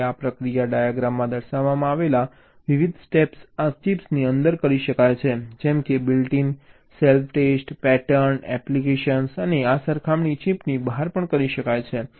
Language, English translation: Gujarati, this process, the different steps that involved shown in diagram, this can be done inside the chip, like built in self test, the pattern application and this comparison can be done outside the chip